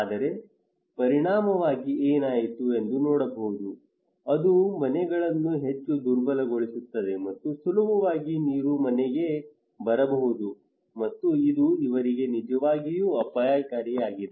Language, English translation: Kannada, But as a result what happened they can see that it makes the houses more vulnerable water can easily come to house and it is really risky for them